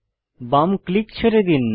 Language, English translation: Bengali, Release left click